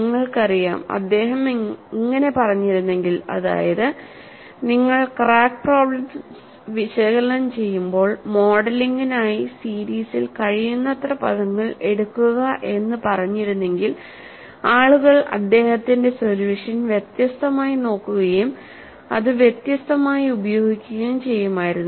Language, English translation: Malayalam, You know, if he had said, when you are analysing crack problems, take as many terms in the series as possible for modelling, people would have looked at his solution differently and also used it differently